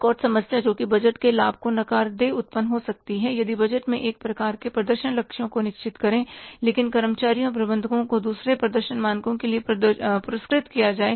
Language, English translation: Hindi, Another problem that can negate the benefits of budgeting arises if the budgets stress one set of performance goals but employees and managers are rewarded for the different performance measures